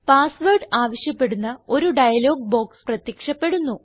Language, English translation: Malayalam, A dialog box, that requests for the password, appears